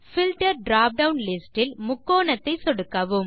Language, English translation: Tamil, In the Filter drop down list, click the triangle